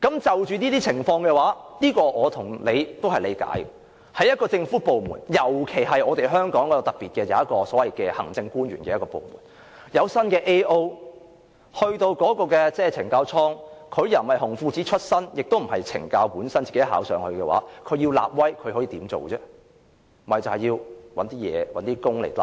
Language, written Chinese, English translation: Cantonese, 就這些情況，我和你也能理解，因為在一個政府部門，尤其是香港較為特別，設有所謂政務主任的部門，如果有一位新 AO 到懲教所工作，他既不是"紅褲子"出身，也不是懲教署內考核擢升，他要立威的話，可以怎麼做呢？, As regards these stories Members probably can understand the special circumstances of governmental departments in Hong Kong which are headed by a so - called Administrative Officer . When a correctional institution has a newly deployed Officer who neither works his way up nor gets promoted via CSDs internal examination what can this Officer do in order to assert his authority?